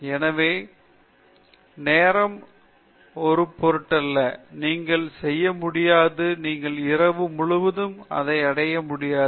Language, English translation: Tamil, So, Rome was not built in a day; you cannot do, you cannot achieve this over night